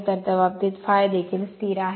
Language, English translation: Marathi, So, in that case phi is also constant